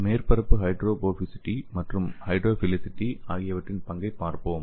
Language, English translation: Tamil, So let us see the role of surface hydrophobicity and hydrophilicity